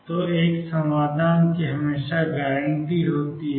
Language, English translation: Hindi, So, one solution is always guaranteed